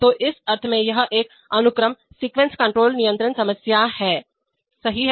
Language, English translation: Hindi, So in this sense it is a sequence control problem, right